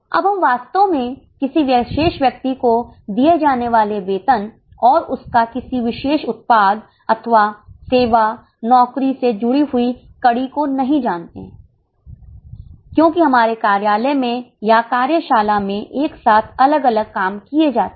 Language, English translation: Hindi, Now we exactly don't know the salary paid to a particular person and its linkage to any one particular product or a service job because different work is being done simultaneously in our office or in the workshop